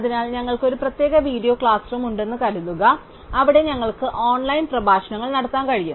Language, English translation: Malayalam, So, suppose we have a special video class room, where we can deliver online lectures